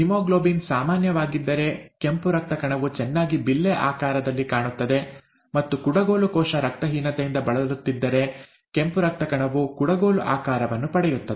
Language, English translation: Kannada, The, if the haemoglobin is normal, the red blood cell would look nicely disc shaped, and if it happens to have, if it happens to be diseased with sickle cell anaemia, then the red blood cell takes on a sickle shaped, sickle shape